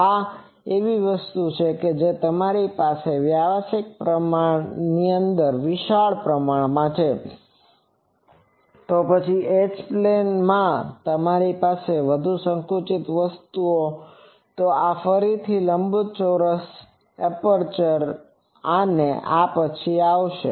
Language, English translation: Gujarati, This is a thing that if you have the broad broader dimension large, then in the H plane you have more constricted thing and this is again, rectangular aperture and this will come later